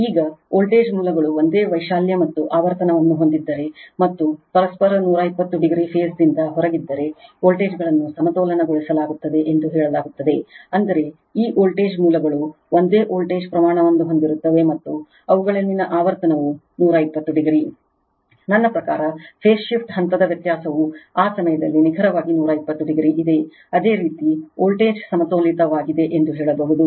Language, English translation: Kannada, Now, if the voltage sources have the same amplitude and frequency omega and are out of phase with each other by 120 degree, the voltages are said to be balanced that means, this voltage sources have the same voltage magnitude and the frequency at they are 120 degree, I mean phase shift phase difference between there is exactly 120 degree at that time, you can tell the voltage is balanced right